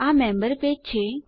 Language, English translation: Gujarati, no, the member page